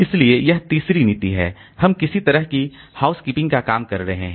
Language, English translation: Hindi, So, this third policy is slightly it is doing some sort of housekeeping job you can say